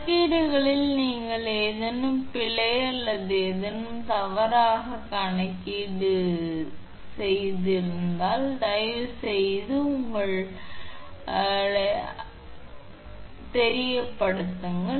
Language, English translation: Tamil, In the calculations if you find any error or any mistake right calculation error anything please your, what you call please let me know this right